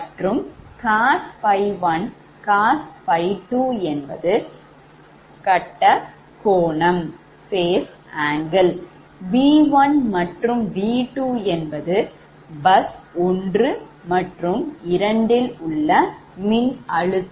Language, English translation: Tamil, cos phi one and cos phi two is equal to power factors v one and v two is the bus voltage of the plants right